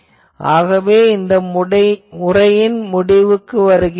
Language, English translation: Tamil, So, with that we will conclude this lecture